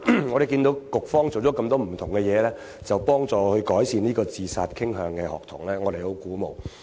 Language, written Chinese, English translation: Cantonese, 我們看到局方做了很多不同的工作，幫助有自殺傾向的學童，我們很鼓舞。, It is encouraging to note that the Bureau has done a lot of different work to help students with suicidal tendency